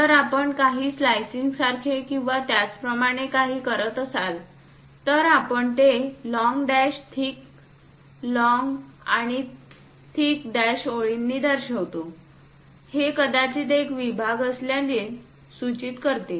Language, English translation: Marathi, If we are making something like a slicing or whatever, we show it by long dashed thick, long and thick dashed lines; that indicates a perhaps there might be a section